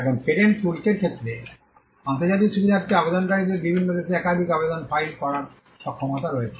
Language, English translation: Bengali, Now, in the case of the patent regime, the international facilitation is only to the point of enabling applicants to file multiple applications in different countries